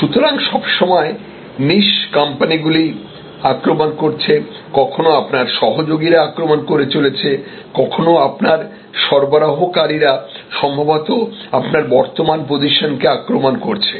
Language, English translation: Bengali, So, they are always niche players attacking, sometimes your collaborators are attacking, sometimes your suppliers maybe attacking your current position